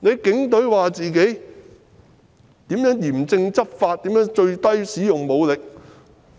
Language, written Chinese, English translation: Cantonese, 警隊說自己如何嚴正執法，使用最低武力。, The Police have talked about how they have enforced the law strictly and used minimum force